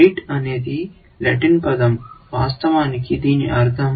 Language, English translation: Telugu, Rete is the latin word, which actually, means net, essentially